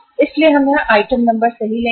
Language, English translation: Hindi, So we will take here the item number right